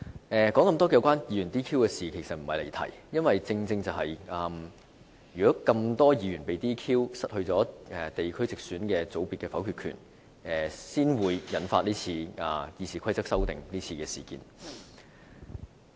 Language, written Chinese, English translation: Cantonese, 我提出這麼多有關議員被 "DQ" 的事情，並不是我想離題，正因有這麼多議員被 "DQ"、失去地區直選界別的否決權，才會引發今次《議事規則》修訂的事件。, I have given a detailed account of the DQ incident not because I wish to digress from the subject matter but because the disqualification of so many Members and the democratic camps subsequent loss of the veto power in the geographical direct election group under the separate voting system is the trigger of the proposals to amend RoP